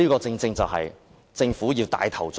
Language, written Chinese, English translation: Cantonese, 這全是要政府帶頭做的。, The Government should take the lead to do all of these